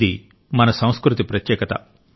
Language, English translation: Telugu, This is a speciality of our culture